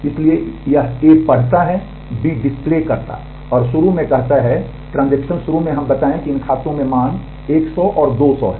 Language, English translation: Hindi, So, it reads A reads B displays and say initially the transaction initially let us say these accounts have values 100 and 200